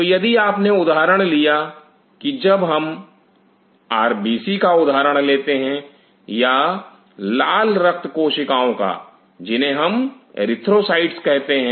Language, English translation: Hindi, So, if you taken for example, if we take the example of RBC or red blood cell which is also called erythrocytes